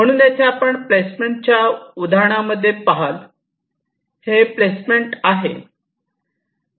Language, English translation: Marathi, so here you see, in this example of a placement